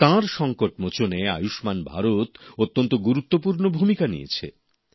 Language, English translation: Bengali, For her also, 'Ayushman Bharat' scheme appeared as a saviour